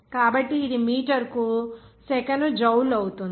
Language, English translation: Telugu, so it will be Jule per second per meter K